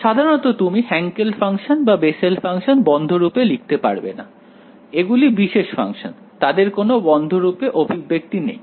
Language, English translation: Bengali, In general you cannot write Hankel functions or Bessel function in closed form; they are special function, they do not have a close form expression